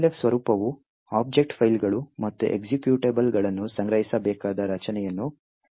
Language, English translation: Kannada, Elf format describes a structure by which object files and executables need to be stored